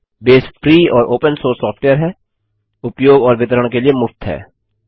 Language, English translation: Hindi, Base is free and open source software, free of cost and free to use and distribute